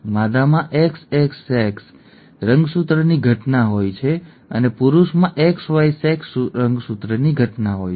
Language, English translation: Gujarati, The female has an XX sex chromosome occurrence and the male has a XY sex chromosome occurrence